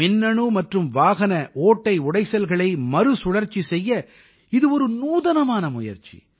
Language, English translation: Tamil, This is an innovative experiment with Electronic and Automobile Waste Recycling